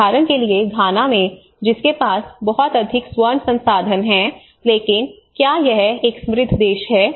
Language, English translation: Hindi, Like for instance in Ghana, which has much of gold resource, but is it a rich country